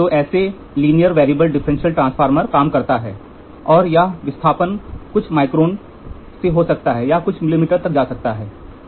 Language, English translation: Hindi, So, this is how a linear variable differential transformer works and here the displacements can be from few microns, it can go up to few millimetres